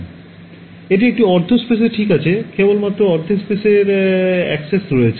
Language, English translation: Bengali, So, it is a half space right I have access only to half the space